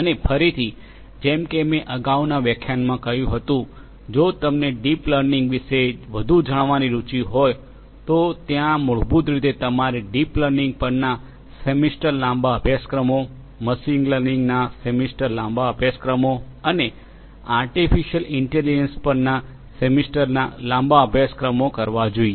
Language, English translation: Gujarati, And again, like I said in the previous lecture, if you are interested to know more about deep learning, there are courses you should basically do semester long courses on deep learning, semester long courses on machine learning, and semester long courses on artificial intelligence